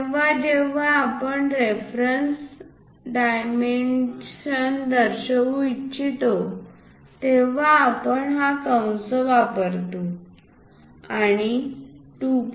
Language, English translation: Marathi, Whenever, we would like to represents reference dimensions we use that parenthesis and 2